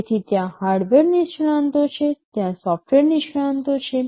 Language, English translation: Gujarati, So, there are hardware experts, there are software experts